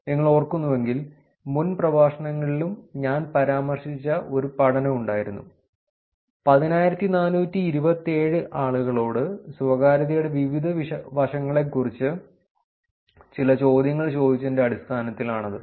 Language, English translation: Malayalam, If you remember, there was a study that I referred earlier in the lectures also, where 10427 people were asked some questions about different aspects of privacy